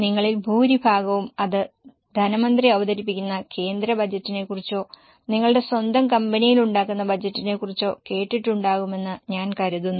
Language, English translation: Malayalam, I think most of you would have heard about budgets, either about the union budget which is presented by the finance minister or those who are working, you would have heard about budgets made in your own company